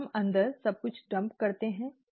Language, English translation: Hindi, We dump everything in, okay